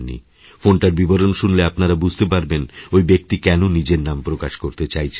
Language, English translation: Bengali, When you listen to the call, you will come to know why he does not want to identify himself